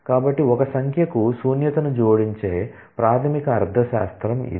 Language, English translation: Telugu, So, that is the basic semantics of adding null to a number